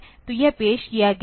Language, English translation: Hindi, So, that has been introduced